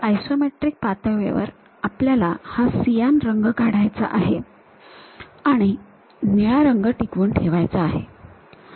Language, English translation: Marathi, So, at isometric level we want to remove this cyan color and retain the blue color